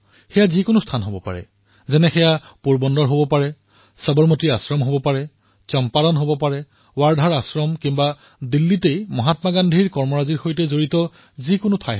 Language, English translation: Assamese, It could be any site… such as Porbandar, Sabarmati Ashram, Champaran, the Ashram at Wardha or spots in Delhi related to Mahatma Gandhi